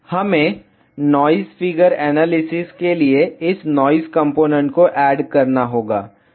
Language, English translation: Hindi, We have to add this noise component for noise figure analysis